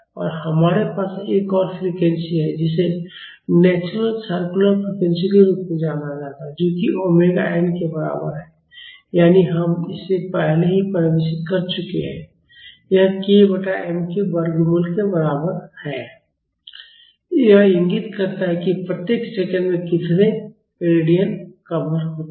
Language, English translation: Hindi, And we have one more frequency known as naturals circular frequency, which is equal to omega n that is we have already defined this it is equal to root of k by m, this indicates how much radians are covered in each second